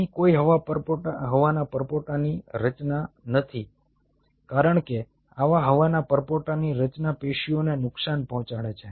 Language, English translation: Gujarati, ok, there is no air bubble formation taking place here, because such air bubble formation damages the tissue